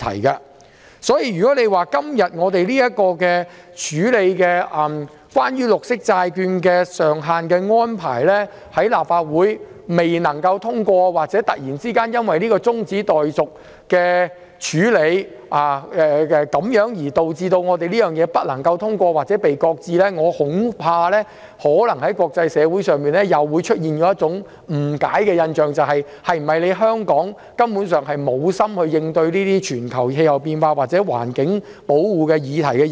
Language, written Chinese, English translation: Cantonese, 因此，立法會今天審議有關綠色債券借款上限安排的決議案，假如決議案不獲通過，或突然因為中止待續議案而導致決議案不獲通過或被擱置，我恐怕可能會令國際社會有所誤解或產生錯誤的印象，認為香港是否根本無心應對全球氣候變化或環境保護議題。, Therefore the Legislative Council is scrutinizing the proposed resolution on the cap of borrowings in relation to green bonds today . If the proposed resolution is negatived or if it is not passed or is shelved due to the adjournment motion I am afraid the international community may have a misunderstanding or wrong impression about Hong Kong leading them to query whether Hong Kong has no intention to tackle global climate change or environmental protection issues at all